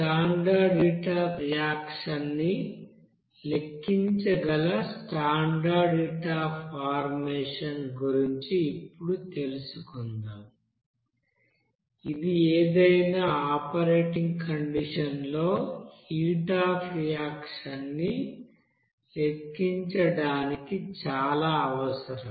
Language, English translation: Telugu, Now let us look back of that you know standard heat of formation based on which you can calculate the standard heat of reaction, which is very important for calculation of heat of reaction at any operating condition